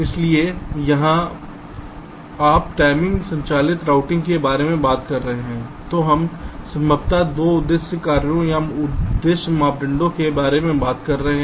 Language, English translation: Hindi, ok, fine, so here, when you talk about timing driven routing, so we are talking about possibly two objective functions or means, objective criteria, so we may seek to minimize either one of them or both